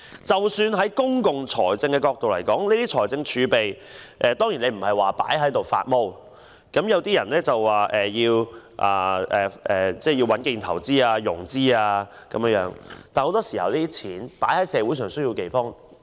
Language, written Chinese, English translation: Cantonese, 在公共財政角度來看，財政儲備當然不應被閒置，有些人說要穩建投資及融資，但很多時候，公帑應該用在社會上有需要的地方。, From the perspective of public finance fiscal reserves should of course not be left idle . Some say that the reserves should be used for prudent investments and financing; however very often public funds should be used in areas in need